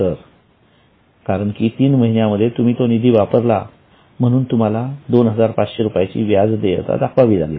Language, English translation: Marathi, But after three months since you have used the funds, you will need to show 2,500 as an accrued interest